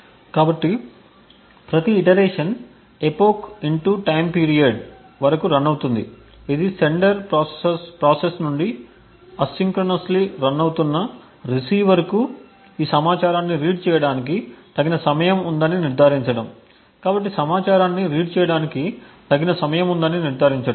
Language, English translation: Telugu, So each iteration is run for epoch * TIME PERIOD, this is to ensure that the receiver which is running asynchronously from the sender process has sufficient amount of time to actually read this information